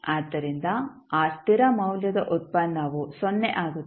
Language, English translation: Kannada, So, derivative of that constant value becomes 0